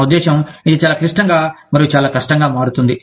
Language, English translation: Telugu, I mean, this becomes, so complex, and so difficult